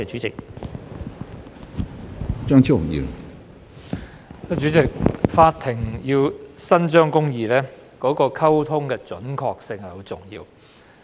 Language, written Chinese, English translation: Cantonese, 主席，法庭要伸張公義，溝通的準確性很重要。, President accuracy in communication is vital for the courts to administer justice